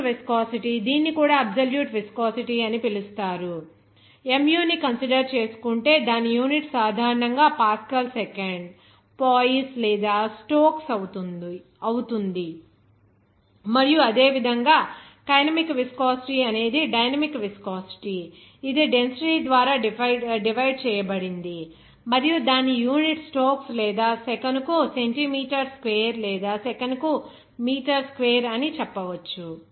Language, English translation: Telugu, Dynamic viscosity also it is called absolute viscosity, the more usual one that we are considering here that mu and its unit typically are Pascal second, Poise, or Stokes or sometimes it is represented and similarly, kinetic viscosity is the dynamic viscosity that is divided by the density and its unit is Stokes or you can say that simply centimeter square per second or meter square per second